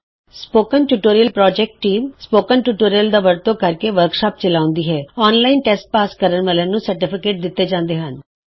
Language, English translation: Punjabi, The spoken tutorial team conduct workshops using spoken tutorials give certificates to those who pass an online test